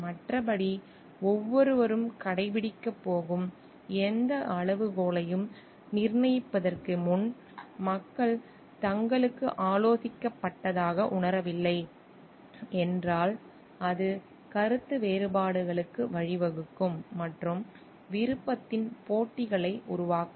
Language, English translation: Tamil, And like, otherwise like if the people don t feel like they have been consulted like before fixing up any criteria which everyone is going to adhere to then it may lead to disagreements and develop contests of will